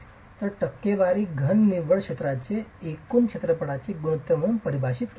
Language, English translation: Marathi, So, percentage solid is defined as the ratio of net area to gross area